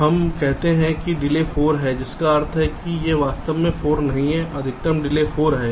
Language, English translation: Hindi, we say a delay is four, which means this is not actually four